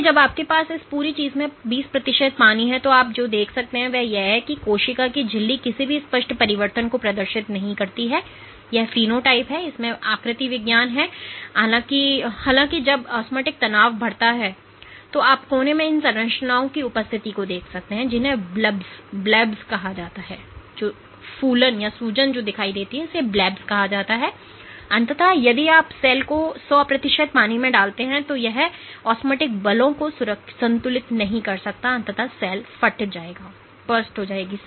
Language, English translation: Hindi, So, on when you have 20 percent water in this whole thing, what you can see is the membrane of the cell does not exhibit any obvious changes in it is phenotype or in it is morphology; however, when the osmotic stress keeps on increasing you see the presence of these structures at the corner these are called blebs and eventually if you put the cell in 100 percent water, it cannot balance osmotic forces eventually the cell will burst ok